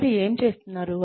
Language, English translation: Telugu, What they are doing